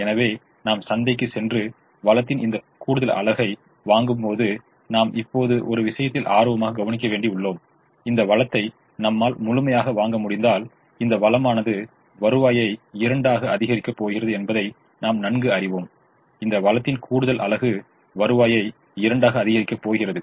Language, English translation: Tamil, so when i go to the market and buy this extra unit of the resource, now i am keen about one thing: if i can buy this resource, i know that this resource is going to increase the revenue by two